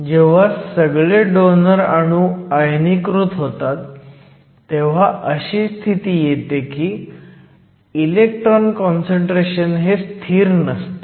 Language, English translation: Marathi, Once all the donor atoms are ionized we have a regime, where the electron concentration is more or less constant